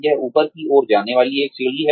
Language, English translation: Hindi, This is a staircase going upwards